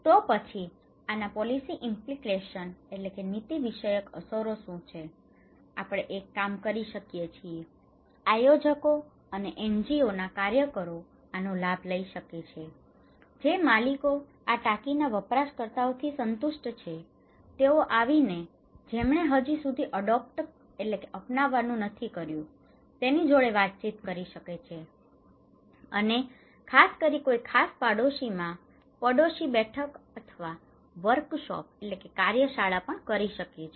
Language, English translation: Gujarati, Then, what is the policy implication of this, we can do one thing, the planners and NGO workers might take this advantage that who those who are satisfied with the users of this tank owners, they can come and talk, give a talk to the individuals who have not adopted yet and especially by conducting neighbourhood meeting or workshops in a particular neighbourhood